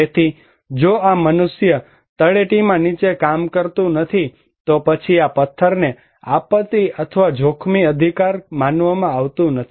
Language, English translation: Gujarati, So, if this human being is not working there in the down at the foothills, then this stone is not considered to be disaster or risky right